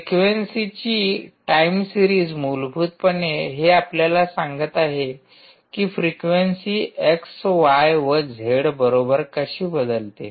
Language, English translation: Marathi, essentially, its telling you that time series of the frequency, ok, how, the how the frequencies actually varying is the same with and x and y and z